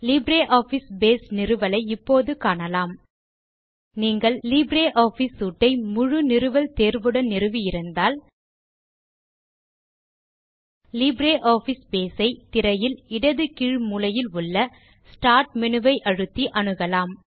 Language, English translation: Tamil, Let us now look at LibreOffice Base installation: If you have already installed LibreOffice Suite with the complete installation option, Then, you can access LibreOffice Base, by clicking on the Start menu at the bottom left of your screen